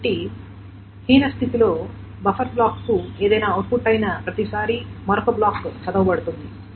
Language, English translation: Telugu, So the number of, the worst case is that every time something is output to the buffer block, the another block is being read